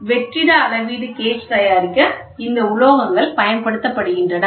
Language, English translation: Tamil, So, these are the materials which are used for the vacuum measuring gauge